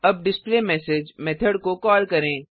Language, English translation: Hindi, Now let us call the method displayMessage